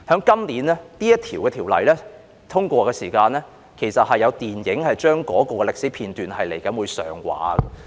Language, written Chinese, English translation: Cantonese, 今年，當這項法案獲得通過時，有關這段歷史的電影便會上畫。, This year a film depicting this part of history will be released by the time the Bill is passed